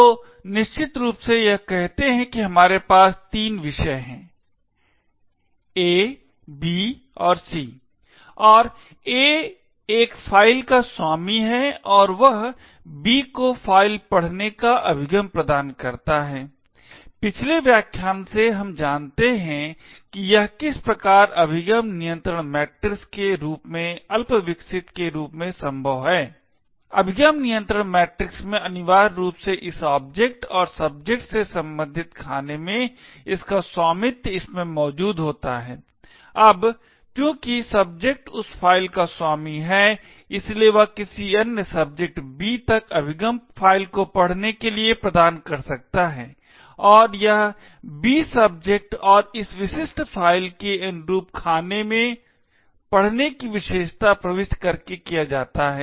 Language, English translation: Hindi, subjects A, B and C and A is the owner of a file and he gives the access to B to read the file, from the previous lecture we know how this is made possible with something as rudimentary as the access control matrix, essentially in the access control matrix the cell corresponding to this object the file and the subject would have the ownership present in it, now since the subject is the owner of that file, he can grant access to another subject B to read the file and this is done by entering the read attribute in the cell corresponding to the subject B and this specific file